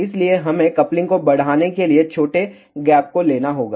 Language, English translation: Hindi, Hence we have to take smaller gap to increase the coupling